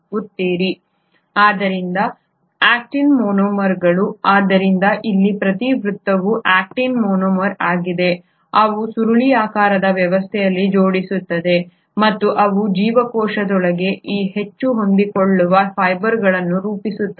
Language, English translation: Kannada, So these Actin monomers, so here each circle is an actin monomer, they arrange in an helical arrangement and they form this highly flexible fibres within the cell